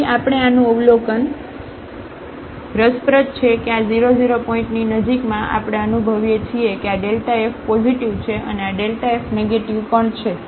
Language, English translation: Gujarati, So, what we have observed this is interesting that in the neighborhood of this 0 0 point, we realize that this delta f is positive and also this delta f is negative